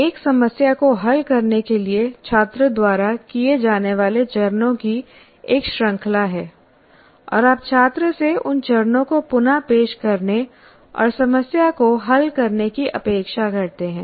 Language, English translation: Hindi, That is also, you have a series of steps that student is required to perform to solve a problem and you expect the student also to reproduce those steps and solve the problem